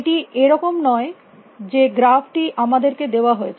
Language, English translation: Bengali, It is not that the graph has been given to us